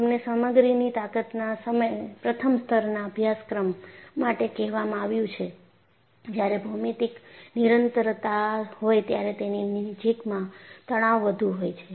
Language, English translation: Gujarati, You have been told in a first level course in strength of materials, when there is a geometric discontinuity, in the vicinity of that, stresses would be high